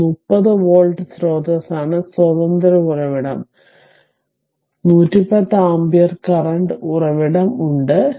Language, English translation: Malayalam, So, this is your a 30 volt source is there independent source, 110 ampere your current source is there